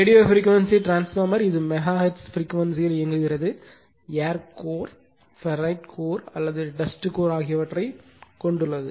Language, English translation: Tamil, Radio frequency transformer it is operating in the megaHertz frequency region have either and air core a ferrite core or a dust core